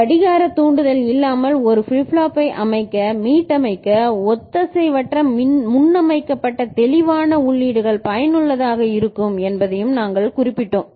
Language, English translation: Tamil, And we also noted that asynchronous preset clear inputs are useful in setting resetting a flip flop without clock trigger